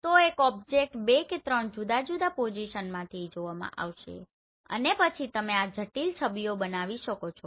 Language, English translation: Gujarati, So one object will be seen from two or three different position and then you will generate this complex images